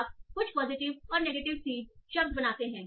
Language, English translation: Hindi, So you create some positive that is good and negative seed words